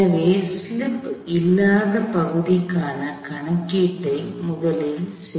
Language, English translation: Tamil, So, let us first do the calculation for the no slip part